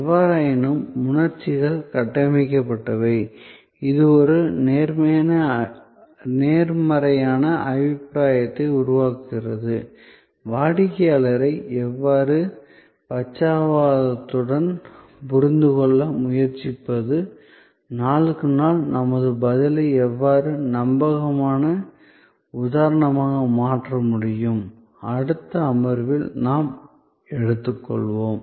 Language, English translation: Tamil, However, emotions are structured, what creates a positive impression, how do we strive to understand the customer with empathy, how our response can be made reliable instance after instance, day after day, a topic that we will take up over the subsequent sessions